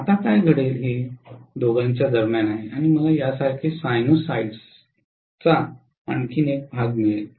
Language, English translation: Marathi, Now what will happen is in between the two also I will get another portion of sinusoids like this